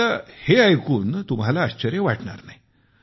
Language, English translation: Marathi, Of course, you will not be surprised at that